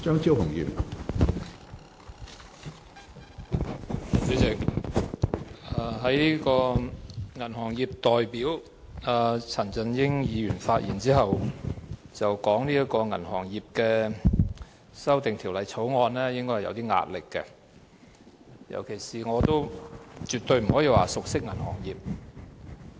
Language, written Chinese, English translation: Cantonese, 主席，銀行業代表陳振英議員在其發言內，指出討論《2017年銀行業條例草案》應該會感到有點壓力，而我更對銀行業完全不熟悉。, President Mr CHAN Chun - ying who is the representative of the banking industry pointed out in his speech that this discussion about the Banking Amendment Bill 2017 the Bill would make us a bit nervous . I in particular have no idea about the banking industry whatsoever